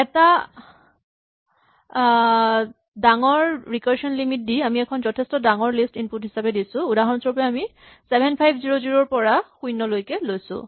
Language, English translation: Assamese, So, set a large recursion limit and now we set up a fairly large list we had done last for an instance 7500 down to 0 right